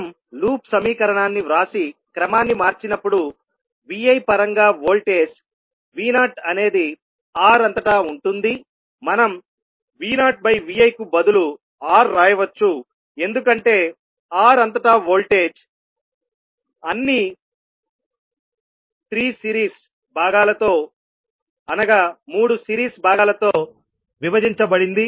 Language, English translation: Telugu, So when we write the the loop equation and rearrange the voltage V naught is across R as in terms of Vi, we can write V naught by Vi is nothing but R because voltage across R divided by all 3 series components